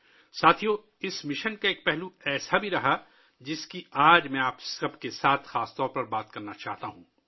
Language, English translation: Urdu, Friends, there has been one aspect of this mission which I specially want to discuss with all of you today